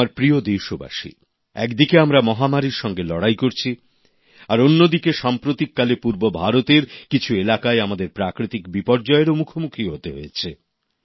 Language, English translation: Bengali, on one hand we are busy combating the Corona pandemic whereas on the other hand, we were recently confronted with natural calamity in certain parts of Eastern India